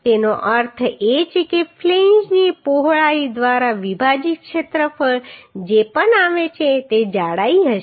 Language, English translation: Gujarati, That means whatever area is coming area divided by uhh width of flange will be the thickness